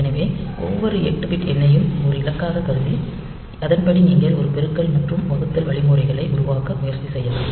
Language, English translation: Tamil, So, each 8 bit number can be considered as a digit, accordingly you can try to devise one multiplication and division algorithm